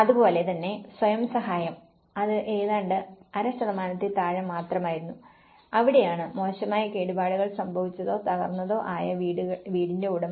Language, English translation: Malayalam, Self help similarly, it was almost less than half percentage that is where owner of badly damaged or collapsed house